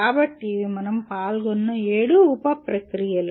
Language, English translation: Telugu, So these are the seven sub processes that we are involved